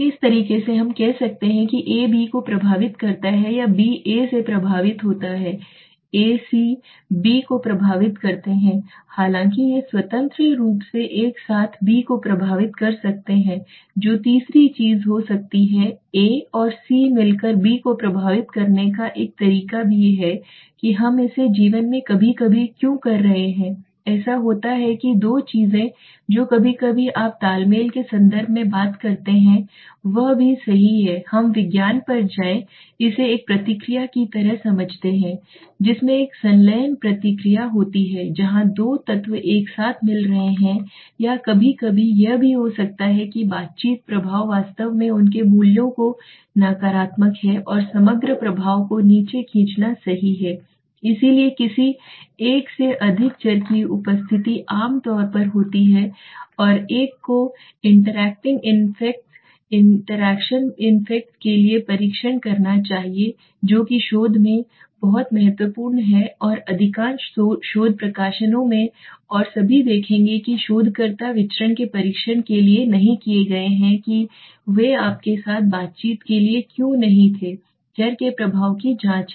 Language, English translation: Hindi, Something like this let us say A affects B or B is affected by A okay A C effects B right although these are independently affecting together may B but which there can be third thing that A and C together also have a way of affecting B what why are we doing it sometimes in life it happens that two things which is sometimes you talk it in terms of synergy also right or let us go to science we understand it like a reaction in which a fusion reaction where when two elements are meeting together the interaction effect is larger than the main effect right or sometimes it could be also that the interaction effect is actually negative their values and it is pulling the overall effect down right so the presence of any more than one variable is generally one should test for the interacting effects interaction effects which is very important in research and in most of the research publications and all or you will see that there will be question why the researcher has not gone for a test of variance why they had not gone for a interact you okay, I am checking the interaction effects of the variables